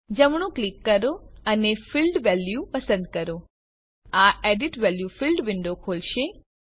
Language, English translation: Gujarati, Right click and choose Field value This will open Edit value field window